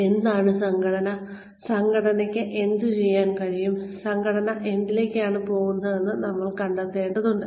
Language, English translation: Malayalam, We need to find out, what the organization is, what the organization can do, what the organization is going towards